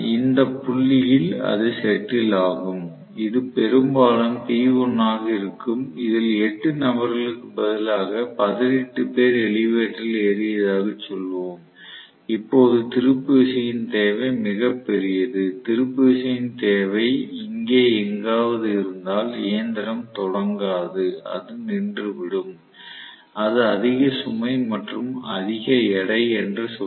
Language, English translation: Tamil, So, it will settle down at this point, which is probably P1 that is going to be the operating point, on the other hand instead of 18 people, 8 people, say 18 people have gotten into the elevator, the torque is very large the demand, if the torque demand happens to be somewhere here, the machine will not start at all, it will just stall, it will say overload and weight